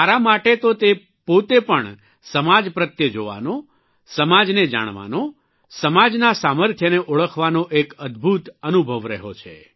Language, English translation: Gujarati, Well for me, it has been a phenomenal experience in itself to watch society, know about society, realizing her strength